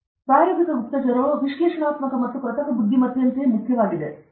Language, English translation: Kannada, So, practical intelligence is as important as analytical and synthetic intelligence